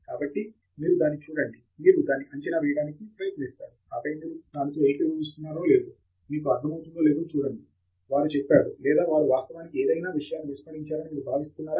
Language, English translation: Telugu, So, you look at it, you try to assess it, and then see if that makes sense to you, whether you agree with what they have said or you feel that they have actually missed the point